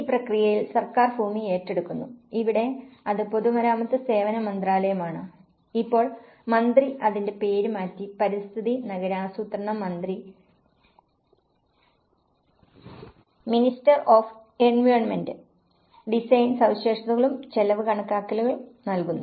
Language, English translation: Malayalam, In this process, the government acquires land and here it is Ministry of Public Works and Services also, the minister now, it has been renamed; Minister of Environment and Urban Planning also provides design specifications and also the cost estimations